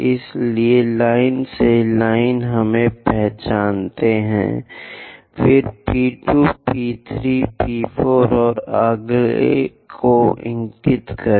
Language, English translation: Hindi, So, line by line, we identify, [nose] then indicate P 2, P 3, P 4, and the next point